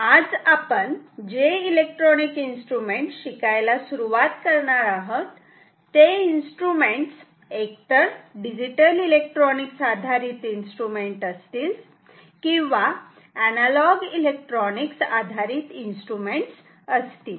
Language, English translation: Marathi, Today, we are going to start electronic instruments which will which can be either digital electronics base instrument or analog electronics based instruments